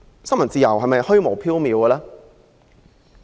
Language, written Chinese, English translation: Cantonese, 新聞自由是否虛無縹緲？, Is freedom of the press a vague concept?